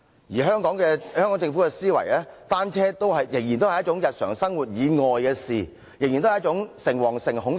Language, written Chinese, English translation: Cantonese, 至於香港政府的思維，就是單車仍然是一種日常生活以外的事，仍然是一種誠惶誠恐的事。, The Hong Kong Government has the mindset that cycling is still a matter divorced from daily life and something to look at with fear and trepidation